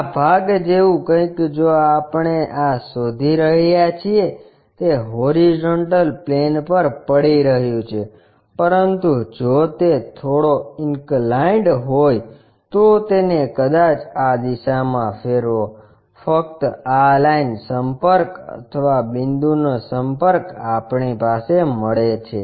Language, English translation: Gujarati, Something like this part if we are looking this is resting on horizontal plane, but if it is slightly inclined maybe rotate it in that direction only this line contact or point contact we have it